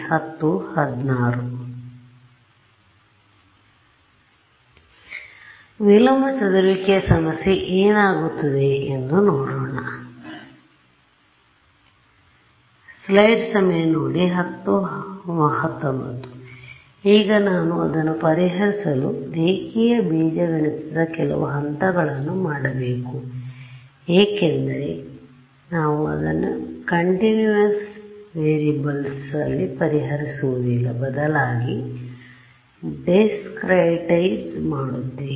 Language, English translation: Kannada, So now, when I want to solve it, I am going to make a few steps to get it into the language of linear algebra right because we do not solve it in continuous variables we discretize it